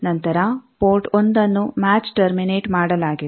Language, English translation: Kannada, Then port 1 is match terminated